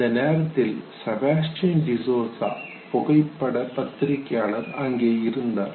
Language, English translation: Tamil, Sebastian Desuza, the photo journalist was available at that time